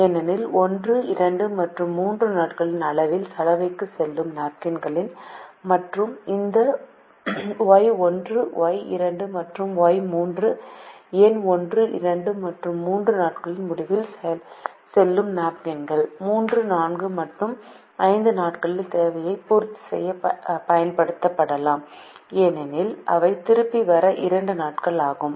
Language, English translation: Tamil, can be used only on days three, four and five, because we have defined variables, as the napkins that go to the laundry at the end of days one, two and three, and these y one, y two and y three number of napkins which go at the end of days one, two and three can be used to make the demand of days three, four and five, because they take two days to come back